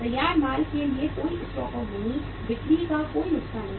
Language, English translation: Hindi, No stock outs for finished goods, no loss of the sales